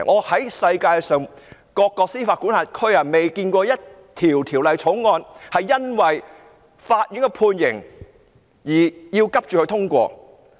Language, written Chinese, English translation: Cantonese, 在世界各個司法管轄區，我從未見過一項條例草案是因為法院的判刑而急須通過。, In various jurisdictions around the world I have not seen a bill that must be passed urgently because a sentence has been handed down by a law court